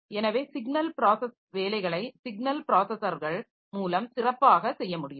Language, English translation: Tamil, So, signal processing jobs can better be done by those signal processing signal processors